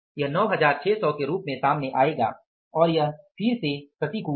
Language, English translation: Hindi, This will come out as 9600s and again it is adverse